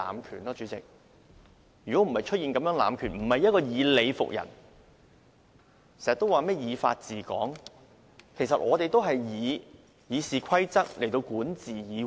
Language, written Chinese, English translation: Cantonese, 原因便是出現濫權，不是以理服人，經常說甚麼以法治港，其實我們也是以《議事規則》來管治議會。, The reason is that they are abusing their power rather than convincing others with reasons . They always say that Hong Kong should be ruled by law and now we are ruling the legislature by RoP